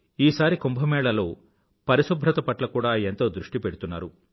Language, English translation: Telugu, This time much emphasis is being laid on cleanliness during Kumbh